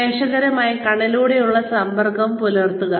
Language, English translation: Malayalam, Maintain eye contact with the audience